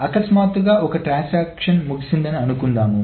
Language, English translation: Telugu, , and suddenly one transaction finishes